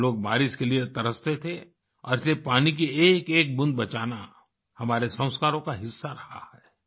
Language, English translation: Hindi, We used to yearn for rain and thus saving every drop of water has been a part of our traditions, our sanskar